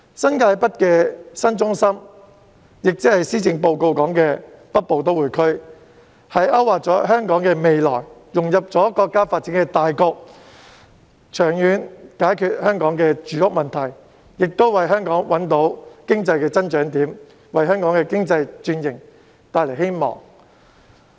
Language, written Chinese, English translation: Cantonese, 新界北這個新中心，即施政報告所建議的北部都會區，勾劃了香港的未來，讓香港融入國家的發展大局，長遠解決香港的住屋問題，亦為香港找到經濟增長點，為香港的經濟轉型帶來希望。, The proposal on this new centre in New Territories North namely the Northern Metropolis proposed in the Policy Address has mapped out the future of Hong Kong . It will enable Hong Kong to integrate into the overall development setting of the country and resolve Hong Kongs housing problem in the long run while also making it possible for Hong Kong to identify economic growth areas and casting hope on Hong Kongs economic transformation